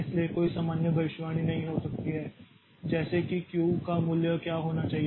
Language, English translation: Hindi, So, there cannot be any general prediction like what should be the value of Q